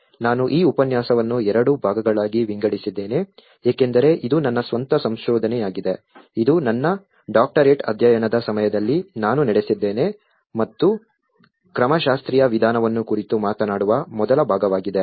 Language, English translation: Kannada, I have divided this lecture in two parts because it is my own research, which I have conducted during my Doctoral studies and the first part which talks about the methodological approach